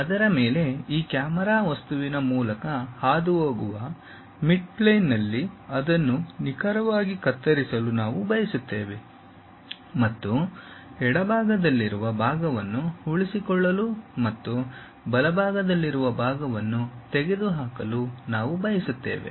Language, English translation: Kannada, On that we will like to slice it precisely at a mid plane passing through this camera object and we will like to retain the portion which is on the left side and remove the portion which is on the right side